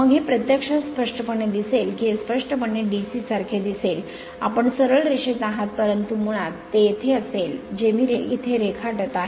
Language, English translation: Marathi, Then this is actually apparently it will be apparently looks like a DC, you are straight line, but basically it will have a I am drawing it here